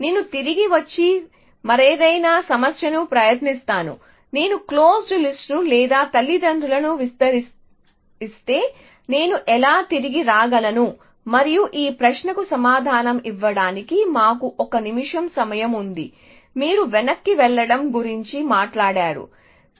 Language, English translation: Telugu, I will come back and try something else trouble is if I throw away the close list or the parents, how can I come back and try something else we have 1 minute to answer this question the answer is that you do not talk of going back